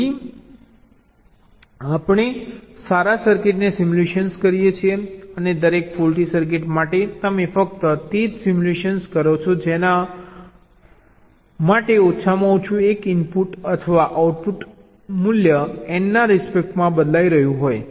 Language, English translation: Gujarati, so we simulate the good circuit and for every faulty circuit you simulate only those for which at least one of the input or output values are changing with respect to n